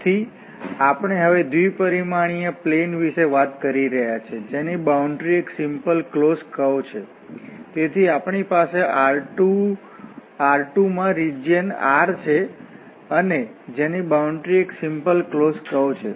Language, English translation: Gujarati, So, we are talking about the 2 dimensional plane now, whose boundary is a simple closed curve, so we have a region R in R 2 and whose boundary is a simple closed curve